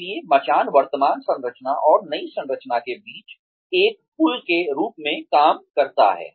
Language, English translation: Hindi, So, scaffolding acts as a bridge, between the current structure and the new structure